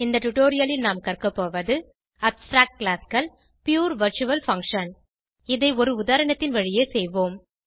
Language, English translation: Tamil, In this tutorial we will learn, *Abstract Classes *Pure virtual function *We will do this through an example